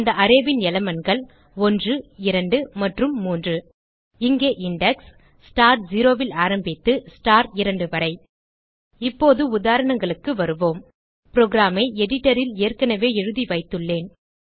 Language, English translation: Tamil, The elements of the array are 1,2 and 3 Here the index will start from star 0 to star 2 Now, lets us move to the examples I have already typed the program on the editor